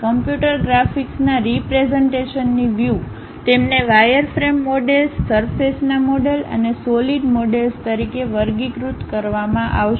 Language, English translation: Gujarati, In terms of computer graphics the representation, they will be categorized as wireframe models, surface models and solid models